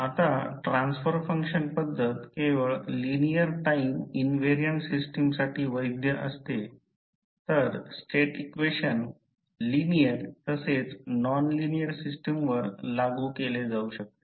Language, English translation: Marathi, Now, transfer function method is valid only for linear time invariant systems whereas State equations can be applied to linear as well as nonlinear system